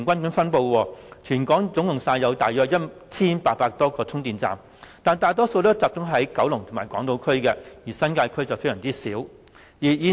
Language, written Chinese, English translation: Cantonese, 現時全港約有 1,800 多個充電站，但大部分集中在九龍及港島區，新界區只有很少充電站。, Of some 1 800 charging stations in Hong Kong most are located in Kowloon and on Hong Kong Island with only a few in the New Territories